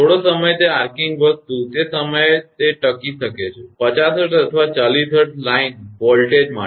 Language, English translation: Gujarati, Some time that arcing thing, it may sustained at that time you have to; for 50 hertz or 60 line voltage